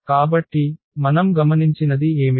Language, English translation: Telugu, So, what we have observed